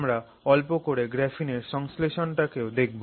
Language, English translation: Bengali, We will look at the synthesis process of graphene